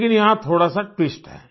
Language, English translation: Hindi, But here is a little twist